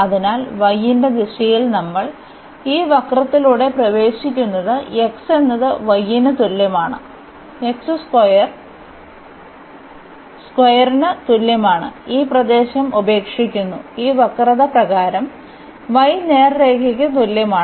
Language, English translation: Malayalam, So, in the direction of y we are entering through this curve x is equal to y is equal to x square and leaving this area, by this curve y is equal to x the straight line